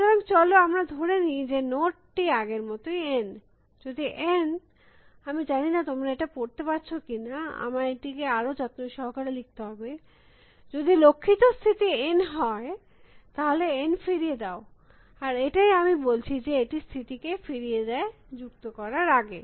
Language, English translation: Bengali, Then, so let us say that note is N as before, if N, I do not know whether you can read this I should write little bit more carefully, if goal state N then return N that is what I am saying that returns the state, else before add